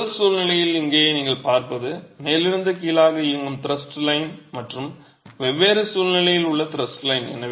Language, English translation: Tamil, So, what you see here is the thrust line that's running from the top to the bottom and the thrust line in different situations